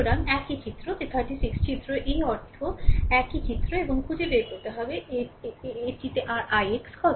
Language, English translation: Bengali, So, same figure that figure 36 means this figure same figure, and you have to find out and this is also your i x right